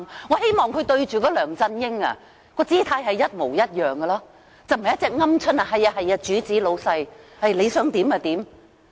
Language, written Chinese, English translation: Cantonese, 我希望他在面對梁振英時，也能有這種態度，而非如鵪鶉般對着老闆唯唯諾諾。, I hope that he can show the same attitude towards LEUNG Chun - ying rather than behaving like a submissive coward in front of his boss